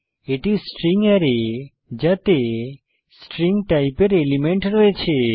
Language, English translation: Bengali, This is the string array which has elements of string type